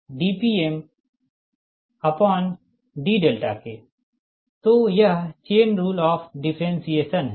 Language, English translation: Hindi, so its chain rule of the differentiation right